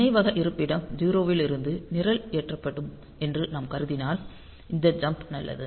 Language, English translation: Tamil, If I assume that the program will is loaded from memory location 0; then this jump is fine